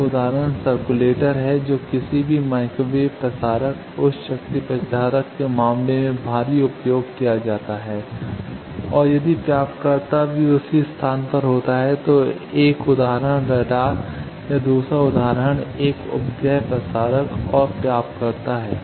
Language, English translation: Hindi, One example of that is circulator which is heavily used for in case of any microwave transmitter, high power transmitter and if the receiver is also at the same place one example is radar or another example is a satellite transmitter and receiver